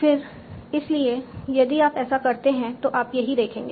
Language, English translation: Hindi, So again, so if you keep on doing that, this is what you will see